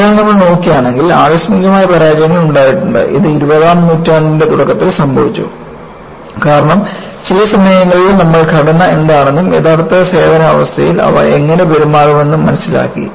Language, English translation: Malayalam, So, if you look at, there have been spectacular failures, which occurred in the early part of the twentieth century; because at some point in time, you decide, you have understood, what the structure is, how do they behave in actual service condition